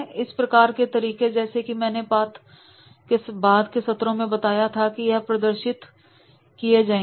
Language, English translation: Hindi, This type of these methods as I mentioned there is in subsequent sessions and this will be demonstrated